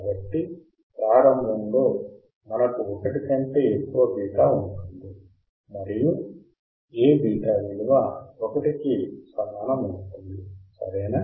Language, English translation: Telugu, So, initially we will have a beta greater than one and then it becomes a beta equal to 1, right